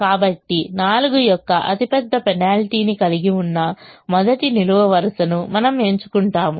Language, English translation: Telugu, so we choose the first column, which has the largest penalty of four